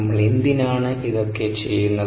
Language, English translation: Malayalam, why are we doing this